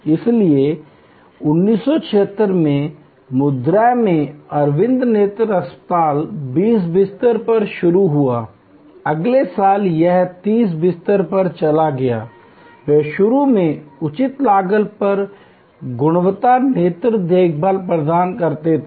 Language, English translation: Hindi, So, 1976 in Madurai, Aravind Eye Hospital started as at 20 bed, next year it went to 30 bed, they goal initially was providing quality eye care at reasonable cost